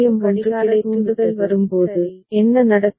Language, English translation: Tamil, Now when the clock trigger comes, what will happen